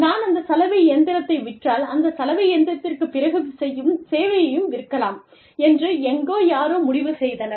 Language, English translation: Tamil, Somebody, somewhere, decided that, if i sell the washing machine, i can also sell the service, after that washing machine